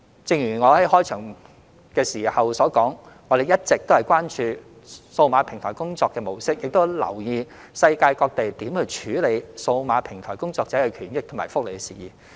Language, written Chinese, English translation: Cantonese, 正如我在開場發言提及，我們一直關注數碼平台工作的模式，亦有留意世界各地如何處理數碼平台工作者的權益和福利等事宜。, As I mentioned in my opening remarks we have always been mindful of the digital platform work mode and how issues such as the rights and benefits of digital platform workers have been handled around the world